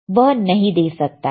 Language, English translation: Hindi, It cannot give, right